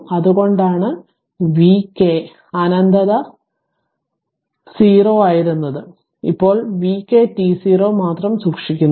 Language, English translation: Malayalam, So, that is why v k minus infinity was 0 only v k t 0 is kept here right